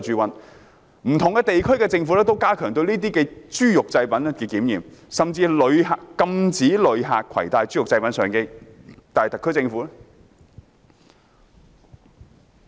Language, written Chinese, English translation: Cantonese, 不同地區的政府都加強對豬肉製品的檢驗，甚至禁止旅客攜帶豬肉製品上機，但特區政府怎樣做？, When the governments of different jurisdictions have stepped up inspection on pork products and even banned tourists from bringing pork products onto the plane what has the SAR Government done?